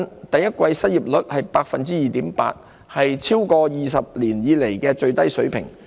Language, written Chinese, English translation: Cantonese, 第一季失業率為 2.8%， 是超過20年以來的最低水平。, The unemployment rate hovered at 2.8 % in the first quarter the lowest in more than two decades